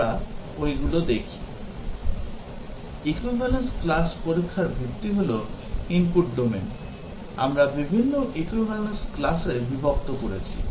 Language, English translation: Bengali, The premise of equivalence class testing is that, the input domain, we are partitioning into different equivalence classes